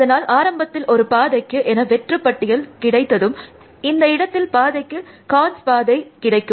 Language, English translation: Tamil, So, initially as a path gets an empty list, and then at this point as a path get cons G path